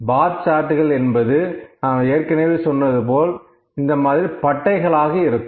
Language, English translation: Tamil, Bar charts are just as we discussed these are the bars like these, ok